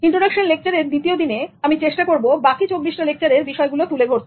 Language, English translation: Bengali, In this second part of the introduction, I will try to talk about the remaining 24 lectures